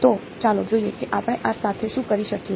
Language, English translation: Gujarati, So, let us let see what we can do with this